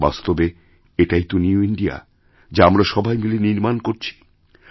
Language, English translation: Bengali, In fact, this is the New India which we are all collectively building